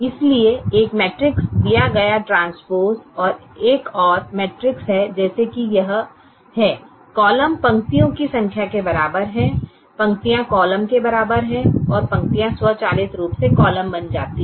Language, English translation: Hindi, so, given a matrix, the transpose is a another matrix, such that it has: the columns is equal to the number of rows, the rows equal to columns and the rows automatically become the columns